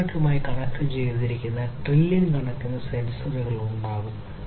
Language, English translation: Malayalam, There would be trillions of sensors connected to the internet